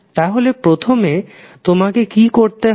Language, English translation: Bengali, So, first what you have to do